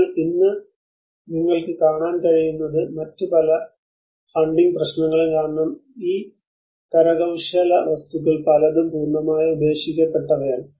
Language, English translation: Malayalam, But today what you are able to see is, because of various other funding issues today many of these artifacts are completely half finished or just lying abandoned